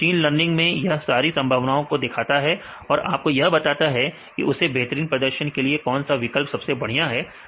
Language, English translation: Hindi, So, in the machine learning it will take all this efforts and it will tell you this is the best choice right you can go with the highest performance